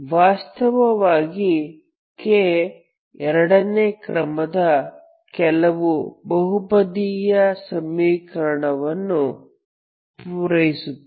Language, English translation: Kannada, so actually k satisfy some polynomial equation of second order